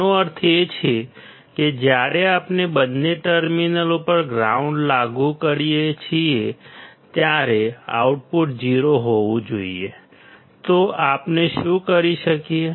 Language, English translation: Gujarati, this means, that when we apply ground to both the terminals, the output should be 0; so, what can we do